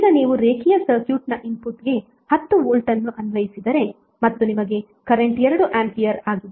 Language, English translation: Kannada, Now if you have applied 10 volt to the input of linear circuit and you got current Is 2 ampere